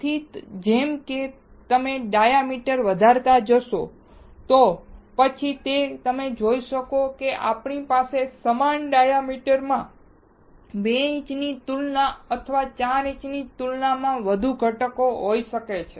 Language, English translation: Gujarati, So, as you keep on increasing the diameter, then you will be able to see that we can have more number of component within the same diameter compared to 2 inch or compared to 4 inch